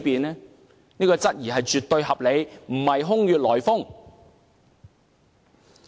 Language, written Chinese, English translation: Cantonese, 這種懷疑絕對合理，並非空穴來風。, And so this is kind of reasonable doubt indeed